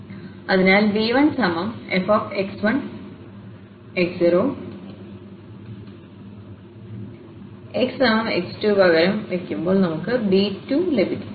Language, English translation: Malayalam, So, f x 1 x naught and then substituting x is equal to x 2, we can also get b 2